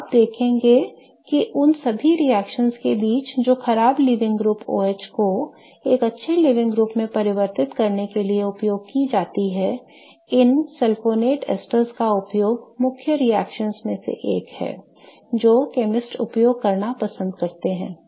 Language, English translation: Hindi, So, you will see that amongst all the reactions that are used to convert the bad living group OH to a good living group, use of these sulfonate esters is one of the main key reactions that chemists like to use